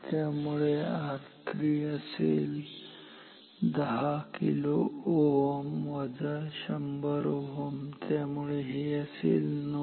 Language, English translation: Marathi, So, therefore, R 3 will be 10 kilo ohm minus 100 ohm